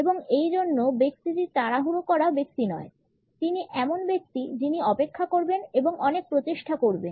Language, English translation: Bengali, And therefore, the person is not a hurried person the person would wait and put in a lot of effort